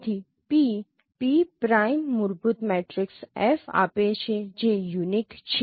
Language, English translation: Gujarati, So, p p prime gives a fundamental matrix if it is unique